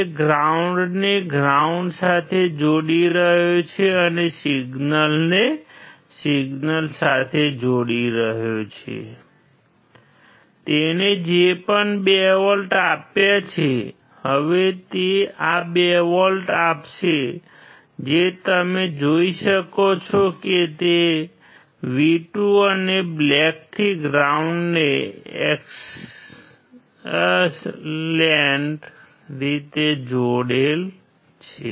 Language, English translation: Gujarati, He is connecting the ground to ground and he is connecting the signal to signal, whatever he has applied 2 volts, now he will apply these 2 volts which you can see he is connecting to the V2 and black one to ground excellent